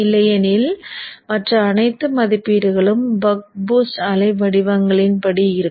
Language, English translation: Tamil, Otherwise all other ratings will be according to the bug boost waveforms